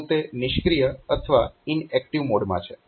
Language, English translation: Gujarati, So, it is in the passive or inactive mode